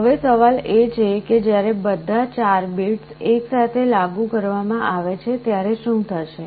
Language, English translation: Gujarati, Now, the question is when all the 4 bits are applied together, what will happen